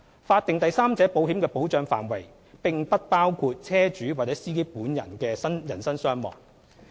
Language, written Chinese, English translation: Cantonese, 法定第三者保險的保障範圍，並不包括車主或司機本人的人身傷亡。, The coverage of statutory third party risks insurance does not include the personal injury or death of the vehicle owner or driver